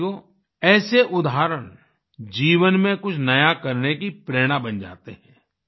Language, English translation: Hindi, Friends, such examples become the inspiration to do something new in life